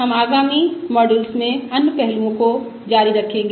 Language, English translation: Hindi, we will continue other aspects in the subsequent modules